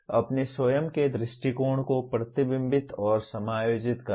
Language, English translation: Hindi, Reflecting and adjusting one’s own approach